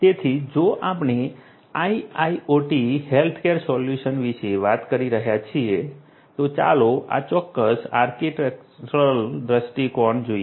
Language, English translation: Gujarati, So, if we are talking about IIoT healthcare solutions, let us look at this particular architectural view point